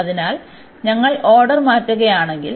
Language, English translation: Malayalam, So, if we change the order